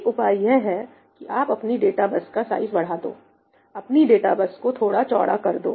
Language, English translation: Hindi, one option is that you increase the size of your data bus make your data bus broader